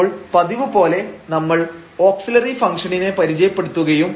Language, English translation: Malayalam, And we just define in an auxiliary function